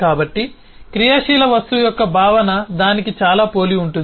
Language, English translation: Telugu, so concept of active object is very similar to that